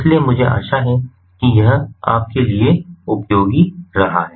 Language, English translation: Hindi, so i hope this has been useful to you, thank you